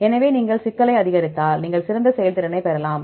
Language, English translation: Tamil, So, that we can, if you if you increase the complexity, you can get better performance